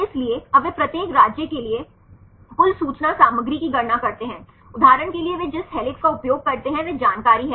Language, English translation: Hindi, So, now, they calculate total information content for each state, for example take helix they use is information